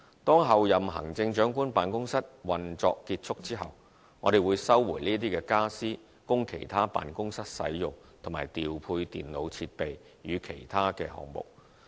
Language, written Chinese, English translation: Cantonese, 當候任行政長官辦公室運作結束後，我們會收回傢俬供其他辦公室使用，以及調配電腦設備予其他項目。, When the operation of the Office of the Chief Executive - elect comes to an end we will resume the furniture for use by other offices and allocate the computer equipment to other projects